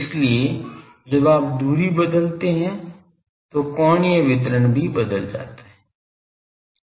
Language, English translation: Hindi, So, as you change the distance the angular distribution is getting changed